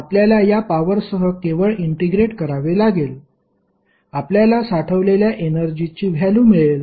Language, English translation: Marathi, You have to just integrate over the time of this power, you will get the value of total energy stored